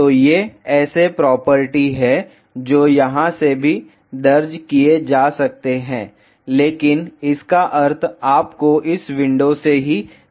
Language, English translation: Hindi, So, these are the properties which can be entered from here as well , but the meaning you have to see from this window itself